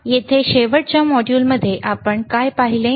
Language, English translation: Marathi, Here in the last module what we have seen